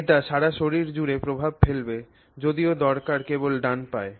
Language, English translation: Bengali, So, it is all over the body but your requirement is only on your right foot